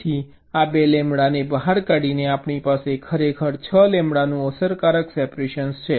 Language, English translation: Gujarati, so taking out this two lambda, we actually have an effective separation of six lambda right now